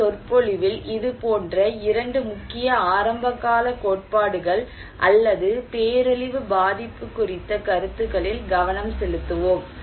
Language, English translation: Tamil, Here, in this lecture, we will focus on these two such prominent early theories or concepts on disaster vulnerability